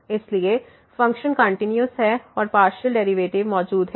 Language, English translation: Hindi, So, the function is continuous and the partial derivatives exist